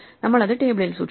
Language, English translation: Malayalam, So, we store that in the table